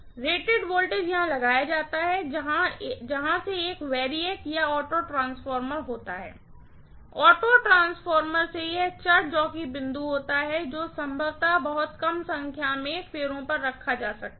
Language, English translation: Hindi, Rated voltage is applied here, from there there is a variac or auto transformer, from the auto transformer this is the variable jockey point which is going to probably be put at very very minimum number of turns